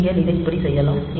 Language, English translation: Tamil, So, you can do it like this